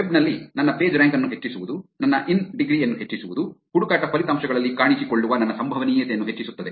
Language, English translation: Kannada, In the web increasing my Pagerank, increasing my in degree, increases my probability of showing up in the search results